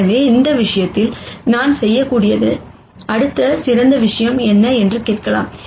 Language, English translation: Tamil, So, I might ask what is the next best thing that I could do in this case